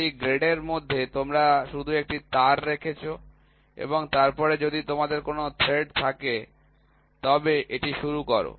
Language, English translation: Bengali, Between 2 threads you just put a wire and then start so, if you have a thread